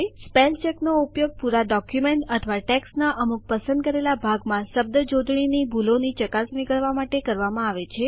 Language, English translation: Gujarati, Spellcheck is used for checking the spelling mistakes in the entire document or the selected portion of text